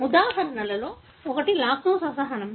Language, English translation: Telugu, One of the examples is lactose intolerance